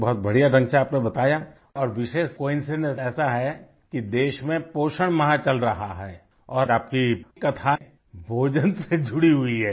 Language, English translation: Hindi, You narrated in such a nice way and what a special coincidence that nutrition week is going on in the country and your story is connected to food